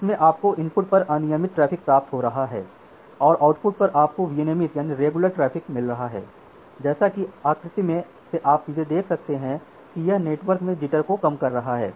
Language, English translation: Hindi, So, you are having irregulated traffic at the input and at the output you are getting the regulated traffic, which by the from the figure you can directly see that it is minimizing the jitter in the network